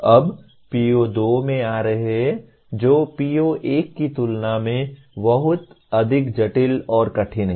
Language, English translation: Hindi, Now coming to PO2 which is lot more complex and difficult compared to PO1